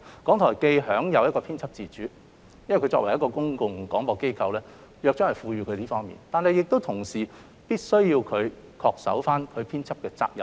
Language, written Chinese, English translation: Cantonese, 港台享有編輯自主，這是由於港台作為公共廣播機構而獲《約章》賦予的職能，但它同時亦必須恪守其編輯責任。, There is editorial independence in RTHK and this is a function provided under the Charter since RTHK is a public service broadcaster but RTHK is also required to shoulder its editorial responsibilities